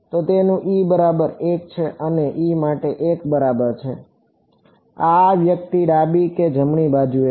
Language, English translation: Gujarati, So, its e is equal to 1 and for e is equal to 1 that is this guy which is at the left or right node